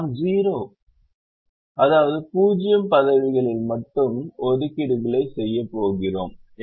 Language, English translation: Tamil, we make assignments only in zero positions